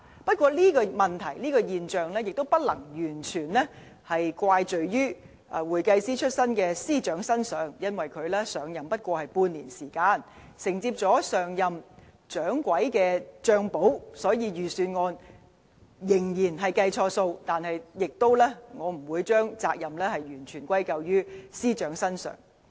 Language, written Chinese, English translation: Cantonese, 不過，這個問題和現象，也不能完全怪罪於會計師出身的司長，因為他上任還沒有半年時間，承接上任"掌櫃"的帳簿，所以雖然預算案仍然錯估盈餘，但我不會將責任完全歸咎於司長。, However we cannot ascribe all these problems and phenomena to the new Financial Secretary who started out as an accountant as he has just come into office and inherited the books from the last shopkeeper for less than half a year . Therefore I will not hold him fully accountable for all the inaccurate calculations in the Budget